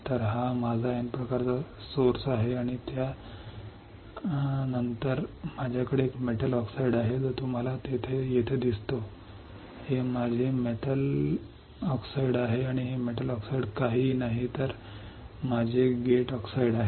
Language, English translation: Marathi, So, that this is my N type source and drain after that I have a metal oxide you see here, this is my metal oxide and this metal oxide is nothing, but my gate oxide